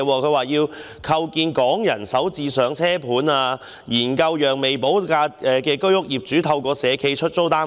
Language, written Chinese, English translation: Cantonese, 她提出構建"港人首置上車盤"，以及"研究讓未補地價的居屋業主透過社企出租單位"。, She has proposed the introduction of Starter Homes and to consider allowing owners of Home Ownership Scheme flats with unpaid land premium to let their units [through social enterprises]